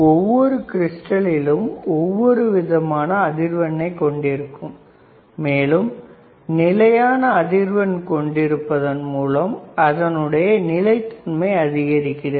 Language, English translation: Tamil, Each crystal has itshis own frequency and implies greater stability in holding the constant frequency